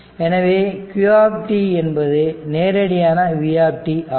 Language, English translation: Tamil, So, this you know that q is equal to c v